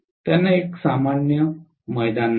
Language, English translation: Marathi, They do not have a common ground